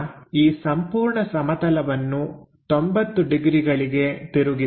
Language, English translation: Kannada, Now, rotate this entire plane by 90 degrees